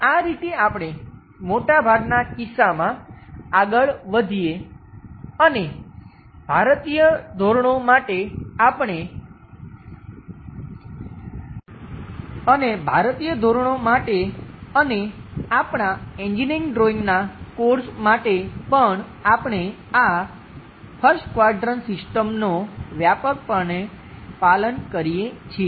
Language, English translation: Gujarati, This is the way we go ahead and most of the cases, at least for Indian standards and alsofor our engineering drawing course, we extensively follow this 1st quadrant system